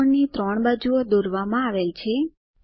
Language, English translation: Gujarati, 3 sides of the triangle are drawn